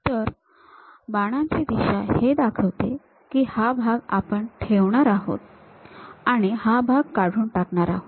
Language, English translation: Marathi, So, the arrow direction represents we are going to retain this part and we are going to remove this part